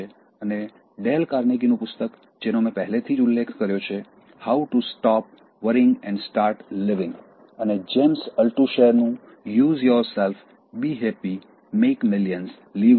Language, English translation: Gujarati, And Dale Carnegie’s book, which I mentioned already, How to Stop Worrying and Start Living and James Altucher’s Choose Yourself: Be Happy, Make Millions, Live the Dream